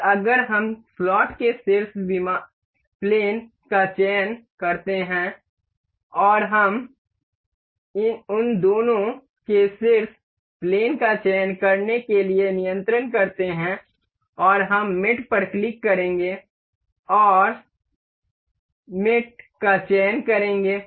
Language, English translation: Hindi, And if we select the top plane of the slot and we control select the top planes of both of them and we will click on mate and select coincident mate ok